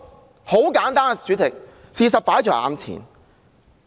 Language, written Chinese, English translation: Cantonese, 主席，很簡單，事實擺在眼前。, President it is straightforward as the facts are all laid before our noses